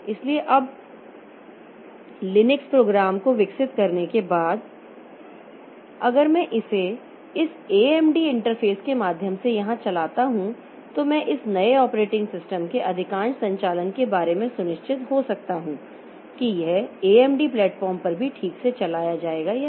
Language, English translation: Hindi, So, now after developing the Linux program if I run it here, so through this AMD interface then I can be sure of most of the operations of this new operating system that whether it will be run properly on the AMD platform also or not